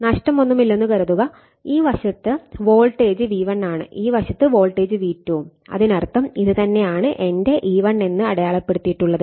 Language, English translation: Malayalam, So, we are assuming there is no loss right so, and this side is voltage V1 this side is voltage V2; that means, this is if it is marked that this is my E1 and here also it is my E2 we are assuming there is no loss